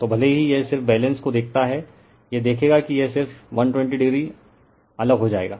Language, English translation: Hindi, So, even if you do it just see the balance so, you will see that it will be just 120 degree apart right